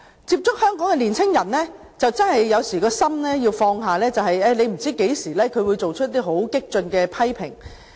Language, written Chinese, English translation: Cantonese, 接觸香港年青人，有時真的要放下身段，因為你不知道何時他們會作出一些很激進的批評。, We honestly need to humble ourselves when getting in touch with the young people in Hong Kong nowadays because we simply do not know when they may turn radical in their criticisms